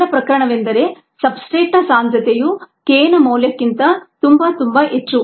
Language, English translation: Kannada, the first case is that the substrate concentration is much, much greater then the k s value